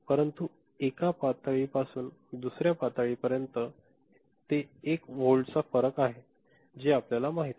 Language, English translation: Marathi, But between one level to another is level it is one volt you know that is different, that is there